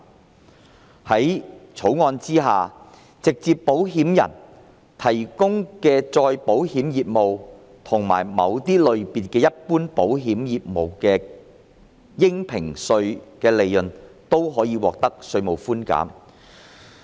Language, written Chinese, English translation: Cantonese, 在《條例草案》下，直接保險人提供的再保險業務及某些類別的一般保險業務的應評稅利潤，均可以獲得稅務寬減。, Under the Bill a tax concession will be provided for the assessable profits of reinsurance business and selected general insurance business of direct insurers